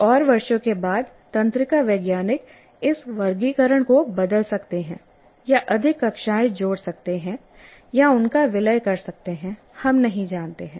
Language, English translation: Hindi, Maybe after a few years, again, neuroscientists may change this classification or add more classes or merge them, we don't know